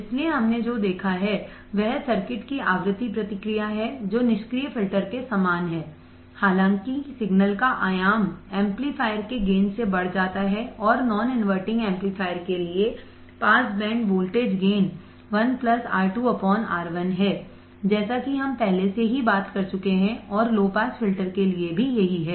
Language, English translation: Hindi, So, what we have seen is the frequency response of the circuit is same as that of the passive filter; however, the amplitude of signal is increased by the gain of the amplifier and for a non inverting amplifier the pass band voltage gain is 1 plus R 2 by R 1 as we already talked about and that is the same for the low pass filter